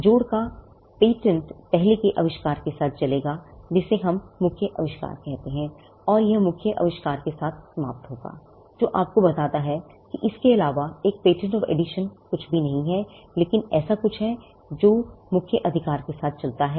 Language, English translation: Hindi, The patent of addition will run along with the earlier invention, what we call the main invention, and it will expire along with the main invention; Which goes to tell you that a patent of addition is nothing but, something which runs along with a main invention